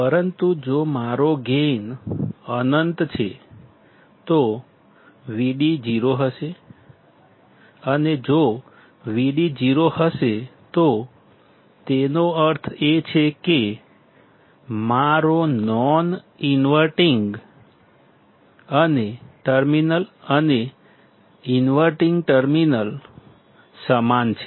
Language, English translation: Gujarati, But if my gain is infinite, then Vd will be 0 and if Vd is 0, that means, my non inventing terminal is same as the inverting terminal